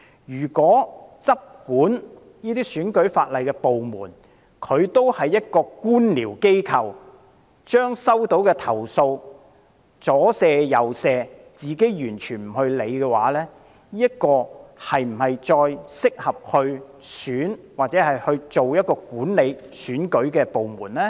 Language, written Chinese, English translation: Cantonese, 如果執管選舉法例的部門也是官僚機構，把收到的投訴"左卸右卸"，完全不處理，又是否適合繼續負責管理選舉呢？, If the department in charge of the enforcement of electoral legislation acts in a bureaucratic manner and shuffles off the complaints received without handling them at all is it still suitable to be in charge of managing elections?